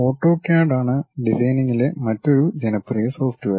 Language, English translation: Malayalam, The other popular software in designing is in manufacturing AutoCAD